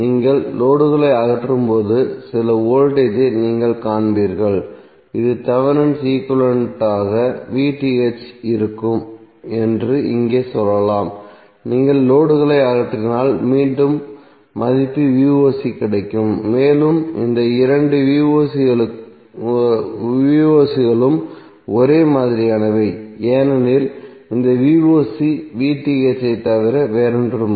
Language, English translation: Tamil, When you remove the load you will see some voltage let us say it is voc similarly for the Thevenin equivalent that is here if you remove the load you will again get the value voc and these two voc are same because this voc would be nothing but VTh